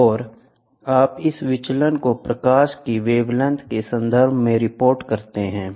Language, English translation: Hindi, And you report this as in terms of wavelength of light, the deviations